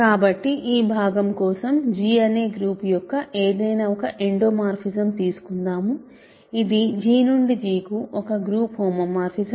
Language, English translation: Telugu, So, for this part let us take an arbitrary endomorphism of the group G, this is a group homomorphism from G to G